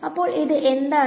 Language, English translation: Malayalam, So, what is this over here